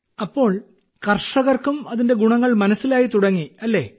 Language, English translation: Malayalam, So do farmers also understand that it has benefits